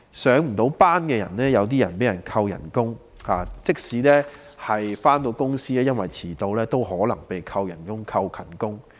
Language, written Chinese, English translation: Cantonese, 一些未能上班的人被扣工資，即使有上班亦因為遲到而有可能被扣減工資或勤工獎。, Some workers who failed to show up had their wage deducted and even those who made it to their workplace might have their wage or attendance bonus deducted for being late